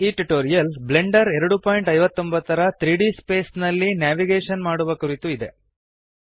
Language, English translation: Kannada, This tutorial is about Navigation – Moving in 3D space in Blender 2.59